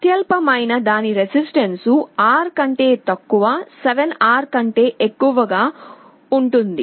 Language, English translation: Telugu, The lowest one has a resistance R below and 7R above